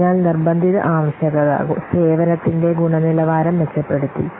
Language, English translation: Malayalam, So mandatory requirement improved quality of service